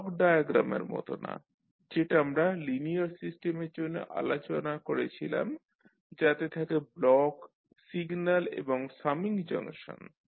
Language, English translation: Bengali, Unlike the block diagram which we discussed for the linear system which consist of blocks, signals and summing junctions